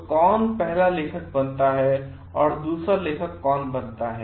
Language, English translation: Hindi, So, who becomes a first author and who becomes the second author